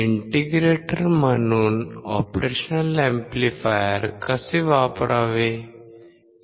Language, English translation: Marathi, How to use operational amplifier as an integrator